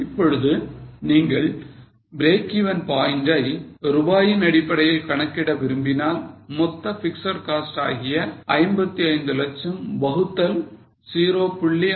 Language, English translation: Tamil, Now, break even point you may want to calculate it in terms of rupees that is total fixed cost which is 55 lakhs divided by 0